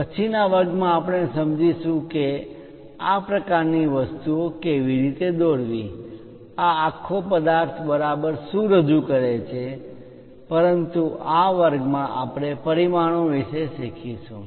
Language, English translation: Gujarati, Later lectures, we will understand that how to construct such kind of things, what exactly this entire object represents, but in this class we will learn about dimensions